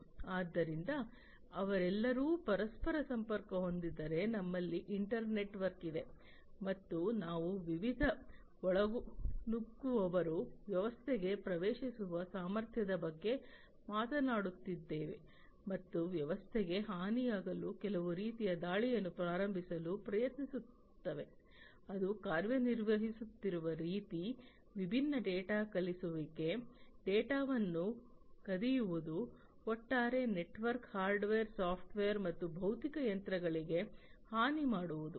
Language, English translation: Kannada, So, if they are all interconnected we have an internetwork, and if we have an internetwork we are talking about the potential of different intruders getting into the system and trying to launch some kind of attack to harm the system, the way it is operating, the different data that are being transmitted, stealing the data, overall harming the network, the hardware the software etcetera and the physical machines themselves